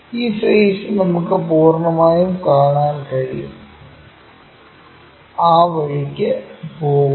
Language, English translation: Malayalam, This face entirely we can see, goes in that way